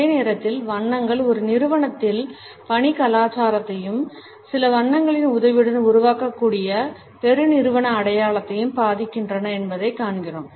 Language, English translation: Tamil, At the same time we find that colors impact the work culture in an organization as well as the corporate identity which can be created with the help of certain colors